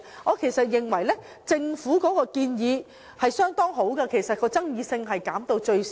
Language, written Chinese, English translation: Cantonese, 我十分認同政府的建議，有助將爭議減到最少。, I strongly support the Governments amendments which will be conducive to minimizing disputes